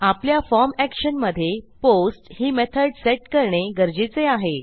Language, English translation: Marathi, In our form action we need to set a method which is going to be POST